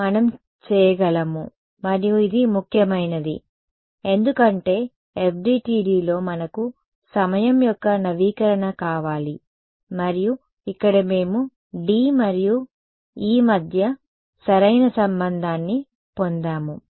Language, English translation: Telugu, So, we are able to and this was important because in FDTD we want time update and we here we got the correct relation between D and E right